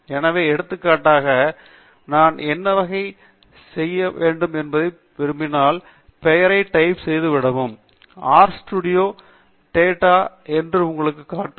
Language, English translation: Tamil, So, for example, if I want to know what type it is, just start typing the name and R studio will show you that it is a data frame as well